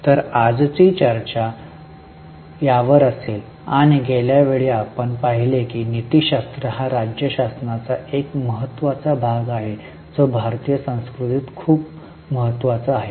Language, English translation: Marathi, And as we have seen last time, ethics is very important part of governance which is very much there in Indian culture